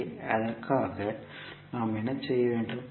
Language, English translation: Tamil, So for that what we have to do